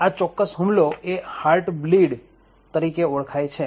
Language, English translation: Gujarati, So, this particular attack is known as Heart Bleed